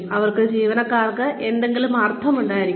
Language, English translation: Malayalam, They should have some meaning for the employee